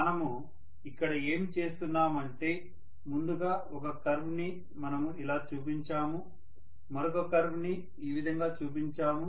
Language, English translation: Telugu, What we have done is first we showed one curve like this, we showed one more curve like this